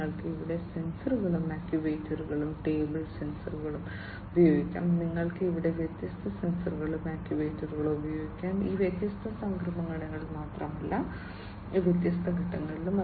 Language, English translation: Malayalam, You could use table sensors over here sensors and actuators, you could use different sensors and actuators here and not only in these different transitions, but also in each of these different phases